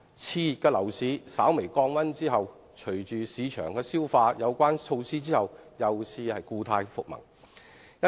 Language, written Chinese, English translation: Cantonese, 熾熱的樓市稍微降溫後，隨着市場消化有關措施，又故態復萌。, After the exuberant property market has cooled down slightly it will revert to type once it has digested such initiatives